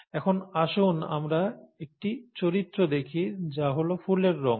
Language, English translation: Bengali, Now let us look at one character, okay, which is flower colour